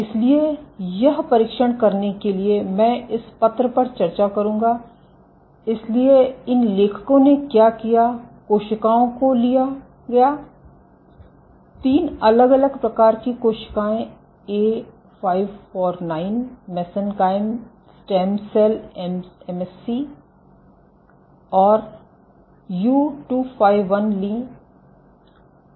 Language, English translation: Hindi, So, to test this, so I will discuss this paper, so what these authors did was took cells, took three different types of cells A549, mesenchyme stem cell and U251